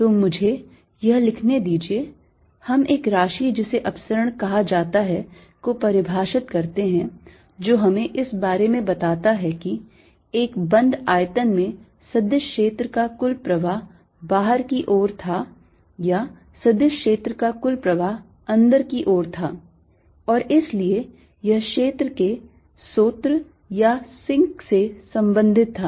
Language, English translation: Hindi, we define a quantity called divergence that told us about whether, in an enclosed volume, there was an net outflow of the vector field or net inflow for the vector field and therefore it was related to source or sink of the field